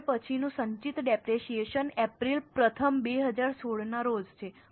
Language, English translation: Gujarati, Now the next is accumulated depreciation as on April 1st 2016